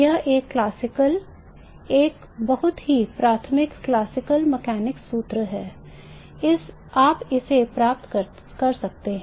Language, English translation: Hindi, It is a classical, it is a very elementary classical mechanical formula